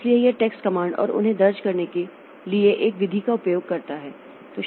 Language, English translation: Hindi, So, it uses text commands and a method for entering them